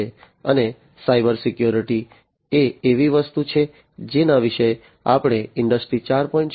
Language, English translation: Gujarati, And cyber security is something that we have already talked about in the context of Industry 4